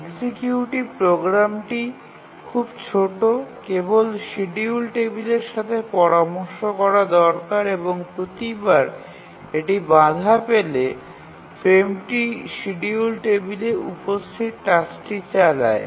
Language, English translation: Bengali, The executive program is very small, just needs to consult the schedule table and each time it gets a frame interrupt, it just runs the task that is there on the schedule table